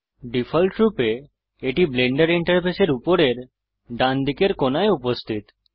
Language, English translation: Bengali, By default it is present at the top right corner of the Blender Interface